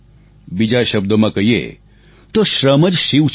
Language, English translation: Gujarati, In other words, labour, hard work is Shiva